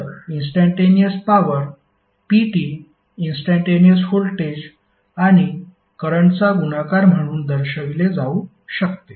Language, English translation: Marathi, So instantaneous power P can be given as multiplication of instantaneous voltage and current